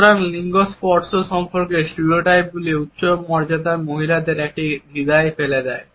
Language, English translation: Bengali, So, gender is stereotypes about touch leave women of higher status in a dilemma